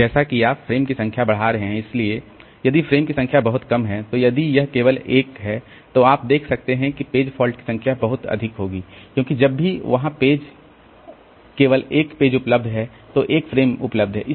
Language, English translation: Hindi, So, as you are increasing number of frames, so if the number of frames is pretty low, so if it is only one, then you can see that the number of page faults will be pretty high because whenever since there is only one page available, one frame available, so first the only the first page of the process will be loaded